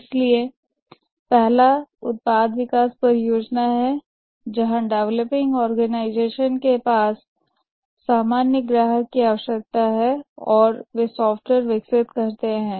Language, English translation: Hindi, So the first one is a product development project where the developing organization has a generic customer requirement and develops the software